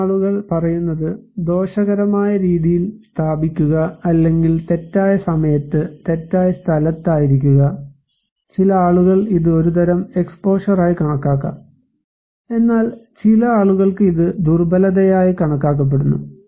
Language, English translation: Malayalam, So, some people are saying that, placed in harm ways, or being in the wrong place at the wrong time, some people may consider this is also as kind of exposure but for some people this is also considered to be as vulnerability